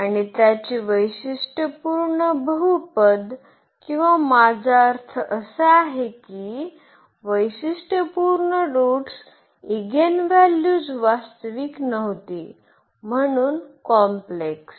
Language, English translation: Marathi, And its characteristic polynomial or I mean the characteristic roots the eigenvalues were non real so the complex